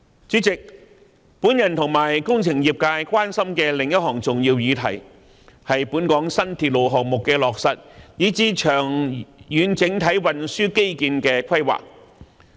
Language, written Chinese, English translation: Cantonese, 主席，我與工程業界關心的另一項重要議題，是本港新鐵路項目的落實，以至長遠整體運輸基建的規劃。, President the engineering sector and I are also concerned about another important issue namely the materialization of new railway projects in Hong Kong and the overall long - term planning for transport infrastructural facilities